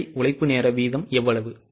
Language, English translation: Tamil, How much is a direct labour hour rate